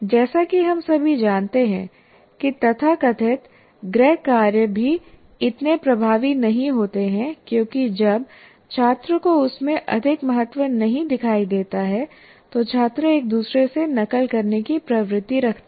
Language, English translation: Hindi, And as we all know, that even the so called home assignments are also not that very effective because when the student doesn't see much value in that, the students tend to copy from each other